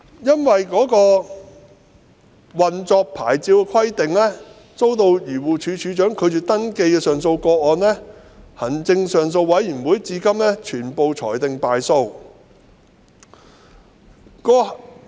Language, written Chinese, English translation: Cantonese, 因不符合運作牌照的規定而遭漁護署署長拒絕登記的上訴個案，至今被行政上訴委員會全部裁定敗訴。, AAB so far has dismissed all appeals against DAFCs refusal of registration that failed to meet the operating licence requirement